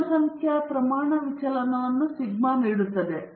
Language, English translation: Kannada, Population standard deviation is given by sigma